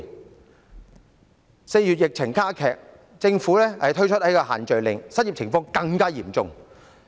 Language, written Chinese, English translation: Cantonese, 在4月，疫情加劇，政府推出限聚令，失業情況更嚴重。, In April as the epidemic escalated the Government implemented an order to prohibit group gatherings and unemployment became even more serious